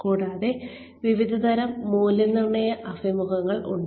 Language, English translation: Malayalam, And, there are various types of appraisal interviews